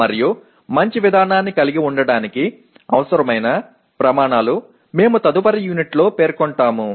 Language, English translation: Telugu, And the criteria that are required to have a good procedure we will state in the next unit